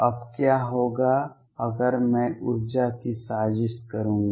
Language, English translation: Hindi, What happens now if I would do plot the energy